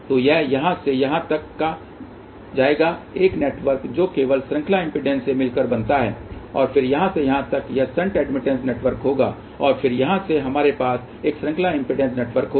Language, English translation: Hindi, So, this will be from here to here one network which consist of only series impedance, then from here to here it will be the shunt admittance network and then from here to here we will have a series impedance network